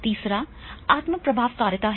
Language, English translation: Hindi, Third is a self efficacy